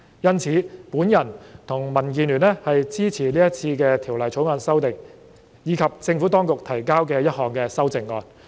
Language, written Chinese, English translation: Cantonese, 因此，我和民建聯支持《條例草案》的修訂，以及政府當局提交的一項修正案。, For this reason the Democratic Alliance for the Betterment and Progress of Hong Kong and I support the amendments in the Bill and the amendment proposed by the Administration